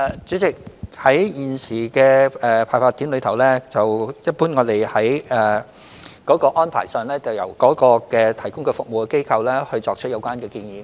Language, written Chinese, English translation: Cantonese, 主席，就現時的派發點，我們一般的安排是由提供服務的機構作出有關建議。, President regarding the current distribution locations our usual arrangement is for the organizations providing the service to make suggestions